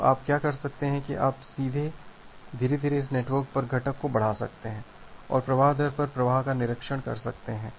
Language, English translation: Hindi, So, what you can do that you can gradually increase this network rate component and observe the effect on the flow rate